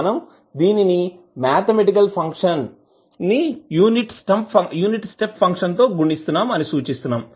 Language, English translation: Telugu, You are representing this mathematically as a function multiplied by the unit step function